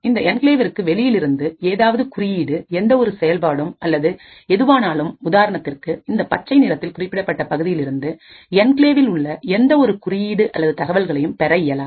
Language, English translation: Tamil, Now what makes this enclave unique is that any code, any function or anything which is executing outside this enclave for example in this green region over here will not be able to access any code or data present within the enclave